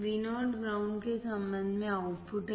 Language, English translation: Hindi, VO is the output with respect to ground